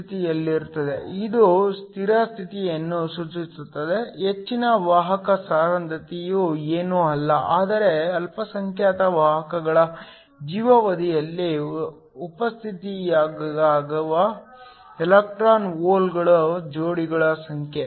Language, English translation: Kannada, Which implies the steady state excess carrier concentration is nothing, but the number of electron hole pairs that are generated times the life time of the minority carriers